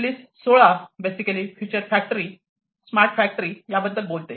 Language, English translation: Marathi, Release 16 basically talks about the factories of the future so smart factories and so on